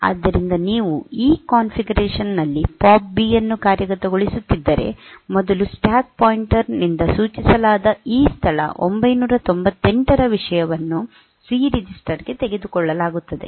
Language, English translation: Kannada, So, if you are executing POP B in this configuration, then first the content of this location 998 which is pointed to by the stack pointer will be taken to the C register